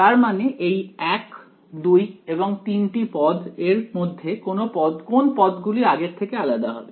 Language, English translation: Bengali, So, of these one, two and three terms which terms will be different from before